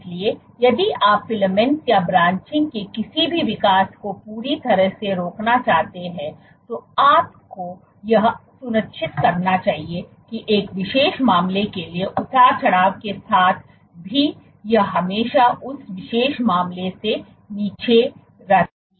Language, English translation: Hindi, So, if you were to completely stop any growth of filaments or branching, you must ensure that the fluctuation for one particular case even with the fluctuation it always remains below this particular case